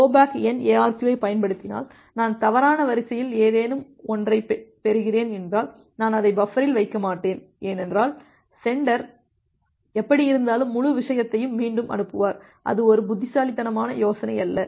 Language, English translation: Tamil, So, if you are applying this go back N ARQ and if you just think of that well, if I am receiving something out of order I will not put it in the buffer because anyway the sender will retransmit the entire thing all together; that is not a wise idea